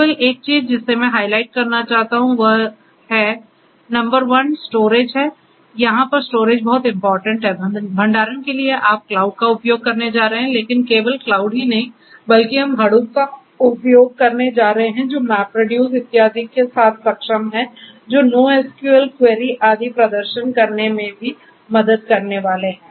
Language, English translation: Hindi, The only thing that I would like to highlight are 2 things, number 1 is to storage, storage is very crucial over here for storage you are going to use the cloud, but not just the cloud itself, but we are going to use this Hadoop and enabled with MapReduce etcetera which are also going to help in performing NoSQL queries and so on